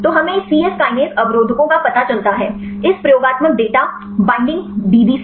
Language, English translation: Hindi, So, we get these c yes kinase inhibitors from this experimental data called the binding DB